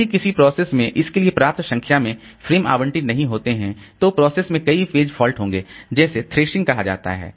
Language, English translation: Hindi, If a process does not have sufficient number of frames allocated to it, the process will suffer many page faults that is called thrashing